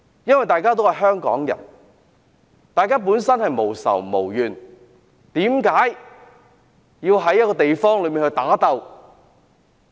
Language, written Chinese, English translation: Cantonese, 我們都是香港人，大家無仇無怨，為何要在某個地方打鬥？, We all are Hong Kong people who have no hatred or grievances among each other why should people fight in a particular place?